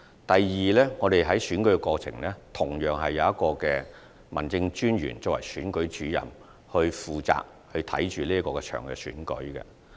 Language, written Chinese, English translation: Cantonese, 第二，在選舉過程中，同樣是由一名民政事務專員擔任選舉主任，負責監察該次選舉。, Secondly in the course of an election the District Officer will likewise serve as the Returning Officer to oversee the election